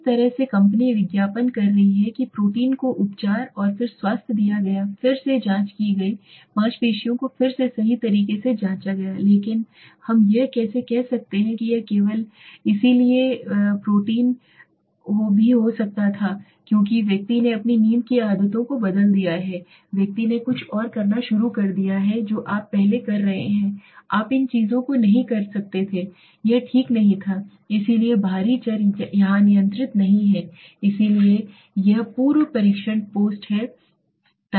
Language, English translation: Hindi, This is how the company is advertising the protein was given the treatment and then the health was checked again the muscle was checked again right but how can we say that it is only because of the protein it could have been also because the person has changed his sleeping habits the person has started doing something else which you are earlier you were not doing so these things are not taken here right so extraneous variable are not controlled here so this is the pre test post test